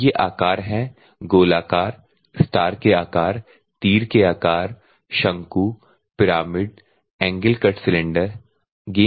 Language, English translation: Hindi, And these are the shapes so spear shapes, star type of shape, and arrow type of shape, the cone pyramid angle cut cylinder